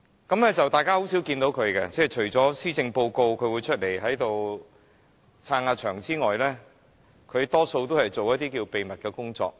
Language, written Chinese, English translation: Cantonese, 大家很少看到他，除了施政報告宣讀時，他會充撐場面之外，他大多數都在進行秘密工作。, But we seldom see him except when he turns up to show his support during the announcement of an annual policy address . Most of the time he is doing his clandestine work